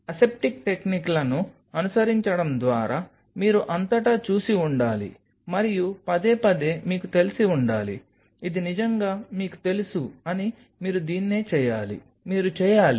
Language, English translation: Telugu, Following the aseptic techniques, you must have seen all throughout and repeatedly kind of you know hinting upon it not really telling that you know this is you should do this is you should do